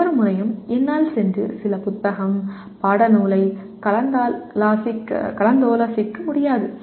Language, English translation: Tamil, Every time I cannot go and keep consulting some book, textbook